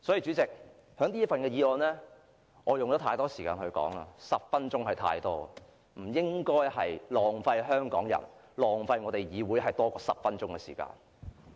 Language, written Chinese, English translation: Cantonese, 主席，我已花太多時間談論這份預算案了 ，10 分鐘已然太多，我不應該浪費香港人、浪費議會多於10分鐘的時間。, President I have spent too much time on this Budget . Ten minutes is far too much . I should not waste more than 10 minutes of the time of Hong Kong people and this Council